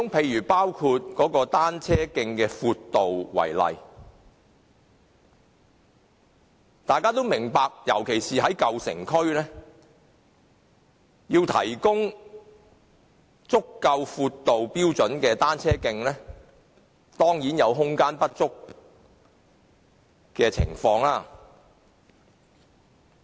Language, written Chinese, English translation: Cantonese, 以單車徑的闊度為例，大家都明白，尤其是在舊城區，若要提供有足夠闊度的單車徑，當然會有空間不足的情況。, Take the width of a cycle track as an example . We all understand that if we request the provision of cycle tracks which are wide enough there will certainly be insufficient space especially in the old downtown areas